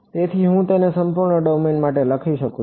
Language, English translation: Gujarati, So, I may as well just write it for the entire domain